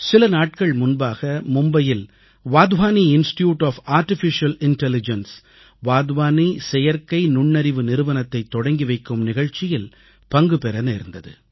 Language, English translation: Tamil, Recently I got an opportunity to take part in a programme in Mumbai the inauguration of the Wadhwani Institute for Artificial Intelligence